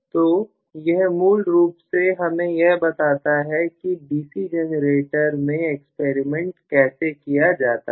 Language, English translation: Hindi, So, this is essentially for how to experiment on a DC generator